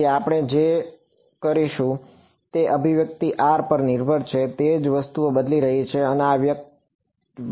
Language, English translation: Gujarati, So, that we will remain the same the only thing that is changing the only thing that depends on r in this expression is this guy